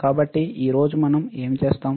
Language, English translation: Telugu, So, what we will do today